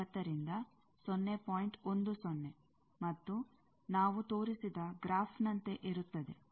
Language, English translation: Kannada, 10 and the graph we have shown